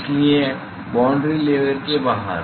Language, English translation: Hindi, So, therefore, outside the boundary layer